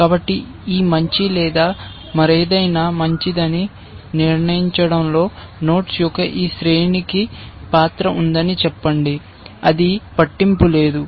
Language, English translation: Telugu, So, let us say this sequence of nodes has a role to play in determining that either this better or something else is better,